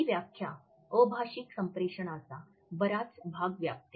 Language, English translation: Marathi, This definition covers most of the fields of nonverbal communication